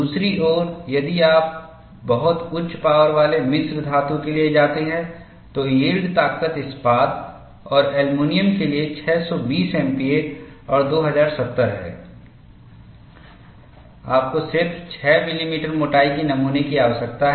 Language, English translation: Hindi, On the other hand, if you go for a very high strength alloy, yield strength is 2070 for steel and aluminum 620 MPa; you need a specimen of a just 6 millimeter thickness